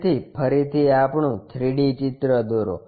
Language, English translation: Gujarati, So, again construct our 3 D picture